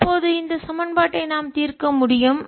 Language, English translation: Tamil, now we can solve this equation